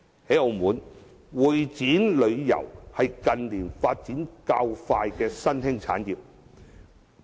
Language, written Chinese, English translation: Cantonese, 在澳門，會展旅遊是近年發展較快的新興產業。, In Macao the CE industry is a fast - growing emerging industry